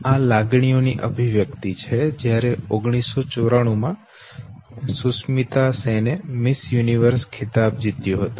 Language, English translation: Gujarati, This is the expression of feelings, when Sushmita Sen won Miss Universe in 1994